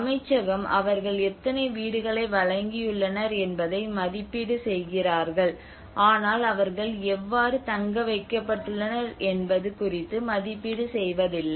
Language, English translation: Tamil, The Ministry is only evaluate how many houses they have provided but not on how they have been accommodated